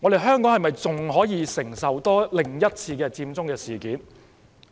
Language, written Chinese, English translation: Cantonese, 香港能否承受另一次佔中事件？, Can Hong Kong bear another Occupy Central incident?